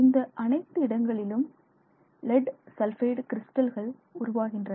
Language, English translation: Tamil, So, all of all of these locations is where you will have the lead sulfide crystals forming